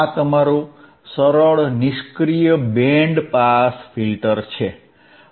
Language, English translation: Gujarati, This is your simple passive band pass filter